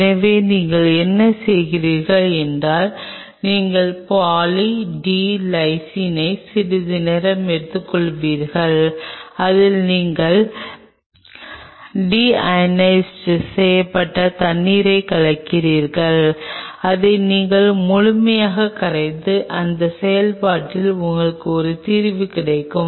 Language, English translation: Tamil, So, what you do is you take Poly D Lysine in a while you mix deionized water into it and you dissolve it thoroughly and, in that process, you get a solution